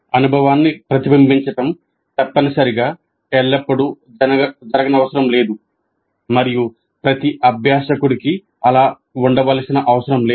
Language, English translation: Telugu, Reflecting on the experience need not necessarily happen always and need not be the case for every learner